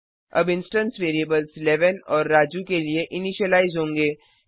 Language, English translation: Hindi, Now the instance variables will be initialized to 11 and Raju.As we have passed